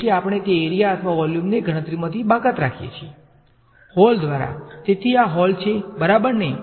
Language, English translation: Gujarati, It so we exclude that area or volume from the computation by means of a hole right, so this is the hole ok